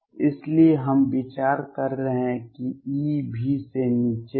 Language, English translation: Hindi, So, we are considering E is below V